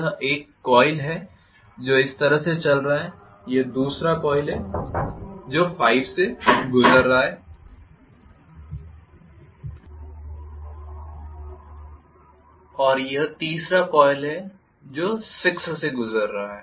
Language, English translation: Hindi, This is one coil this is going like this, this is the second coil which is going through 5 and this is the third coil which is going through 6